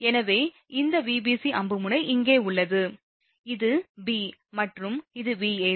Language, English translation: Tamil, So, it is b this Vab arrow tip is here for Vab so, a and Vca this is c